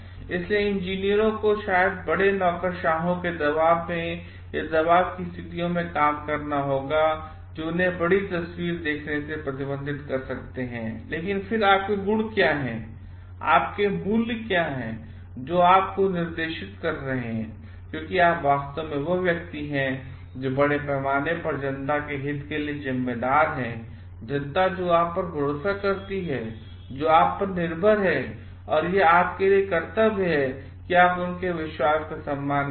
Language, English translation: Hindi, So, engineers must maybe working in situations under large bureaucracies, in situations of pressure and then, salaries which may restrict them to see the larger picture, but again what are your virtues, what are your values which are guiding you because you are actually the person who is responsible for the interest of the public at large, public who trust you, who depend on you and it is a duty for you to respect their trust